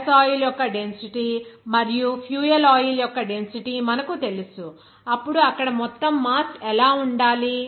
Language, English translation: Telugu, You know that density of the gas oil and density of the fuel oil, then what should be the total mass there